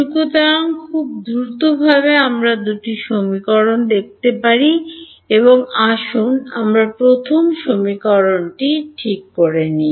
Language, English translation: Bengali, So, let us let us see let us look at let us take the first equation ok